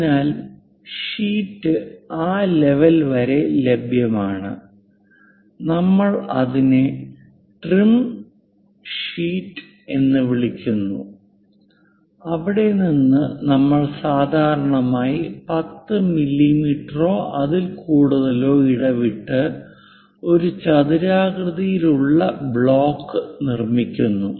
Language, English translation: Malayalam, So, the sheet is available up to that level and we are calling that one as the trim sheet and from there usually we construct a rectangular block with minimum spacing as 10 mm or more